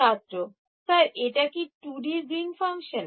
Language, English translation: Bengali, Sir, is it 2D Green's function